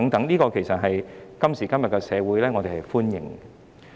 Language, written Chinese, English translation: Cantonese, 在今時今日的社會，我們是歡迎的。, Such amendments are welcomed in society today